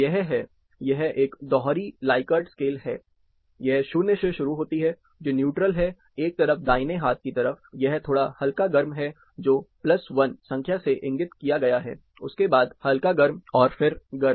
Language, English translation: Hindi, It has it, is a double likert scale, it is start from 0, which is neutral, on others one side, right hand side, it has slightly warm, which is plus one, indicated as number plus one, warm, and hot